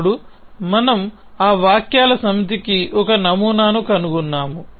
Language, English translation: Telugu, Then we say that we have found a model for those set of sentences